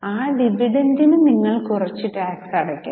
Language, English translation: Malayalam, On the profit earned, you have to pay tax on the amount of dividend paid